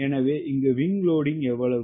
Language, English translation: Tamil, so what is the wing loading here